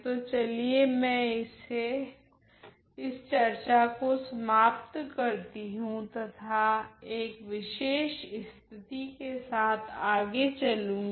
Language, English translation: Hindi, So, let me just end this discussion by and move ahead by giving you a particular case